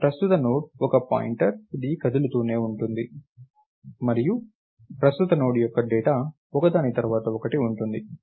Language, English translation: Telugu, this current Node is a pointer which keeps moving along and current node's data will be the data one after the other